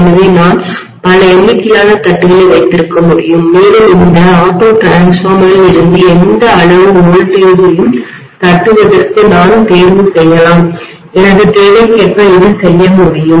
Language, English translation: Tamil, So I can have multiple number of taps and I can choose to tap any amount of voltage out of this auto transformer, I should be able to do this as per my requirement, okay